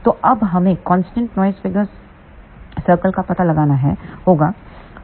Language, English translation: Hindi, So, now, we have to find out constant noise figure circle